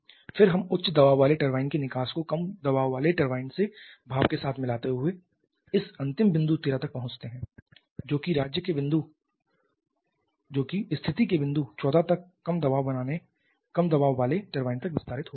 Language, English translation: Hindi, Then we are mixing the exhaust of the high pressure turbine with the steam coming from the low pressure turbine to reach this final point 13 here which is getting expanded to the low pressure turbine till state point 14